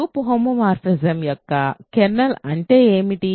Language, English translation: Telugu, What is a kernel of a group homomorphism